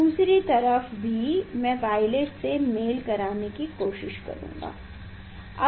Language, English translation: Hindi, other side also I will try to match the violet one, yes